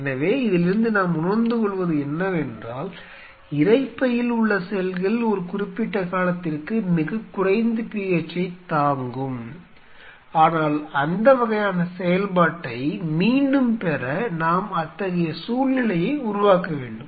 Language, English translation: Tamil, So, then what we interpret from this is the cells in the stomach can withstand a very low PH for a transient period of time, but in order to regain that kind of activity we have to create such a situation